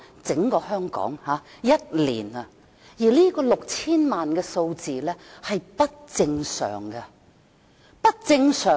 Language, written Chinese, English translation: Cantonese, 整個香港在1年內有接近 6,000 萬名旅客，這個數字是不正常的。, Overall Hong Kong received nearly 60 million visitors in one year . It is an abnormal number